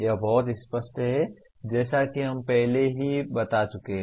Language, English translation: Hindi, That is very clear as we have already stated